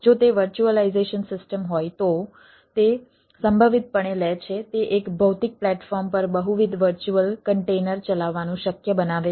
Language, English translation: Gujarati, if it is a virtualization system, it takes the possibly ah, it makes it possible to run multiple virtual containers on a single physical platforms